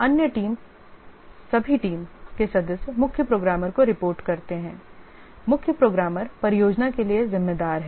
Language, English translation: Hindi, All other team members report to the chief programmer